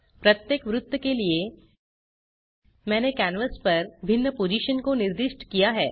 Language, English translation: Hindi, For each circle, I have specified different positions on the canvas